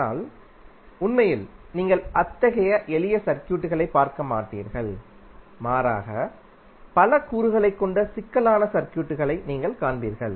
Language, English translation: Tamil, But in reality you will not see simple circuits rather you will see lot of complex circuits having multiple components of the sources as well as wires